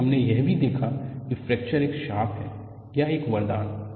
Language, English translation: Hindi, Then, we also looked at whether fracture is a bane or a boon